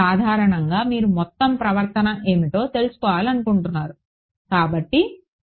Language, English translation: Telugu, Typically you are we want to know what is the overall behavior